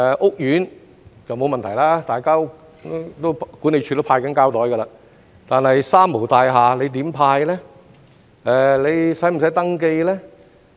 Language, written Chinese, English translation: Cantonese, 屋苑就沒有問題，管理處已在派發膠袋，但在"三無大廈"，局方又如何派發呢？, There will be no problem in housing estates since the management offices have been distributing plastic bags all along . But how will the Bureau distribute such bags in three - nil buildings?